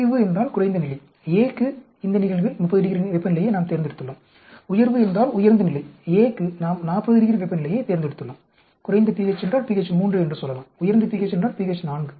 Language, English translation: Tamil, The low means the lower level for A we have chosen this case 30 degrees temperature, high means higher level for A we have chosen, 40 degrees temperature, low for pH means say pH 3 high for pH means pH 4, that is how you do these experiments, understand